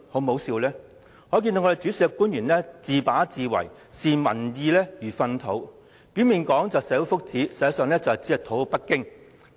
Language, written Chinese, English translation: Cantonese, 由此可見，主事的官員自把自為，視民意如糞土，表面說為了社會福祉，實際上只為討好北京。, This shows that the relevant public officers have acted arbitrarily and treated public opinion as dirt . They claim they are acting for the benefit of society but they are actually currying favour with Beijing